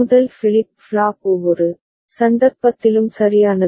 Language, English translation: Tamil, The first flip flop is toggling at every instance right